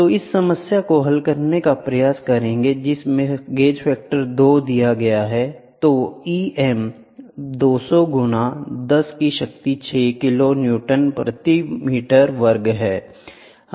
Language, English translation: Hindi, So, let us try to solve the problem gauge factor which is given is 2 then E m is 200 into 10 to the power 6 kiloNewton per meter square